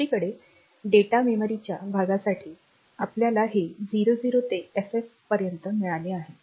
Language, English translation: Marathi, On the other hand, this for data memory part, we have got this 00 to FF